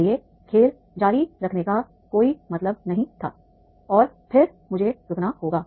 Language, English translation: Hindi, So there was no point to continue the game and then I have stopped there